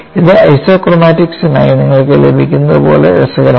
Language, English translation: Malayalam, And this is as interesting, like what you get for isochromatics